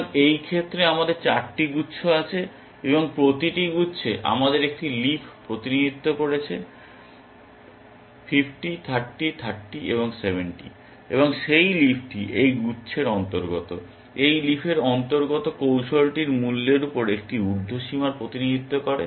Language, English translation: Bengali, So, in this case we have 4 clusters, and in each cluster we have one representative leaf 50, 30, 30, and 70, and that leaf represents an upper bound on the value of the strategy that this cluster belongs to, this leaf belongs to, each leaf belongs to 2 strategies